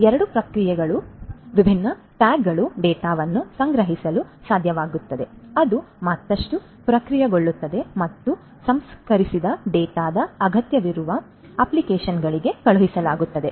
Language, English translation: Kannada, So, there are two types and these different tags would be able to collect the data which will be further processed through processed and would be sent to the desire the to the applications that need the processed data